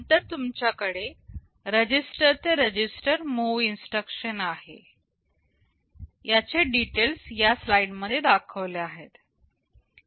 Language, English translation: Marathi, Then you have some register to register move instructions